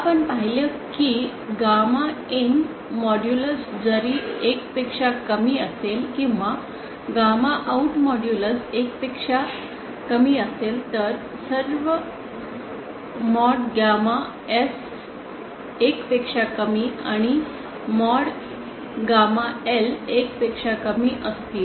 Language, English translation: Marathi, We saw that if gamma in modulus is lesser than 1, or gamma out modulus is lesser than 1 for all mod gamma S lesser than 1 and what gamma L lesser than 1